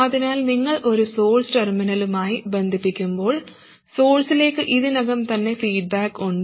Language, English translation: Malayalam, So, when you connect a current source to the source terminal, there is already feedback to the source